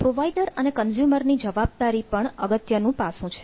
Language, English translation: Gujarati, responsibilities of the provider and consumer is important